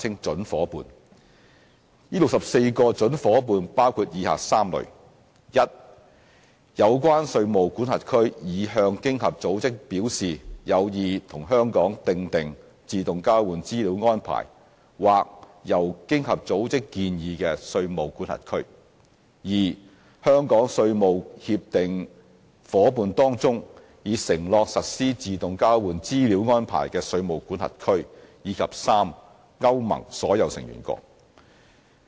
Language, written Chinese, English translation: Cantonese, 這64個準夥伴包括以下3類： a 有關稅務管轄區已向經合組織表示有意與香港訂定自動交換資料安排或由經合組織建議的稅務管轄區； b 香港稅務協定夥伴當中已承諾實施自動交換資料安排的稅務管轄區；及 c 歐盟所有成員國。, The 64 prospective AEOI partners are from the following three categories a jurisdictions which have expressed an interest to OECD in conducting AEOI with Hong Kong or jurisdictions suggested by OECD; b Hong Kongs tax treaty partners which have committed to AEOI; and c all Member States of EU